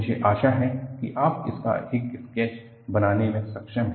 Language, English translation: Hindi, I hope you are able to make a sketch of this